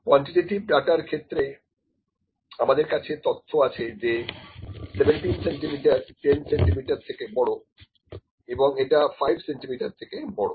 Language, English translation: Bengali, And in quantitative data with just have the information 17 centimetres is greater than 10 centimetres which is greater than 5 centimetres